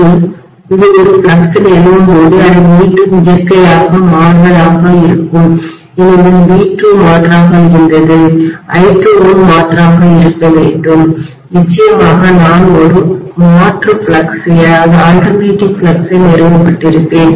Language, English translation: Tamil, And when it is establishing a flux, it is again alternating in nature because V2 was alternating I2 has to be alternating and I will have definitely an alternating flux established